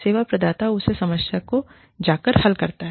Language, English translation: Hindi, The service provider goes, and solves that problem